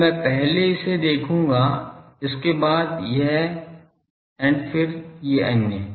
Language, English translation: Hindi, Now, this I will see first this then, this, then others